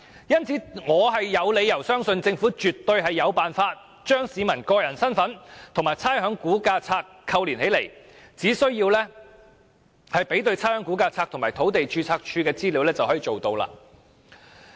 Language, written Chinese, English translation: Cantonese, 因此，我有理由相信政府絕對有辦法把市民身份與差餉估價冊扣連起來，只須比對差餉估價冊和土地註冊處的資料便可。, Hence I have reasons to believe that the Government is able to link up the ratepayers identity with the records in the Valuation List . All it has to do is to compare the information in the Valuation List and that of the Land Registry